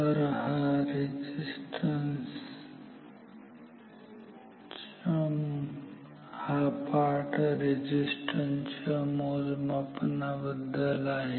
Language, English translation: Marathi, So, this chapter is on measurement of resistance